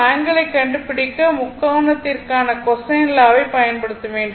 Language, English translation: Tamil, So, we have to find out the angle that you have to go for that cosine law for the triangle